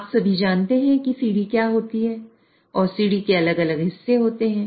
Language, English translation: Hindi, So, all of you know what is a ladder and ladder and ladder has different rungs